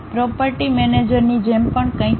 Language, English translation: Gujarati, There is something like property manager also